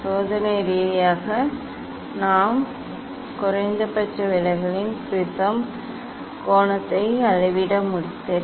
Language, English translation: Tamil, experimentally we have to measure the angle of the prism and angle of the minimum deviation, ok